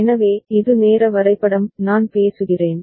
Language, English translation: Tamil, So, this is the timing diagram, I am talking about